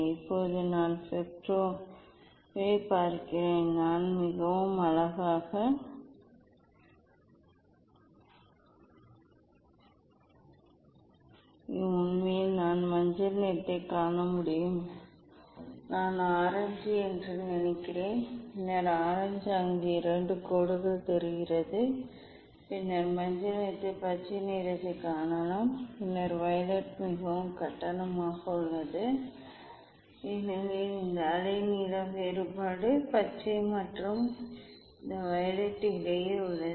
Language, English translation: Tamil, now let me see the spectra I can see very nice spectra, actually I can see yellow, I think orange and then orange looks 2 lines there, then yellow then I can see green, then violet is there is quite fares because, this wavelength difference is between the green and this violet